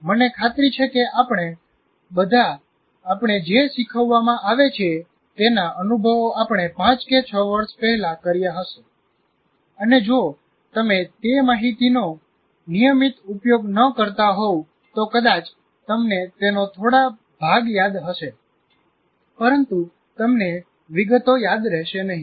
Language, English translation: Gujarati, I'm sure all of us experience something that is taught to us, let us say, five years ago, six years ago, if you are not using that information regularly, you can't, maybe you will remember some trace of it, but you will not remember the details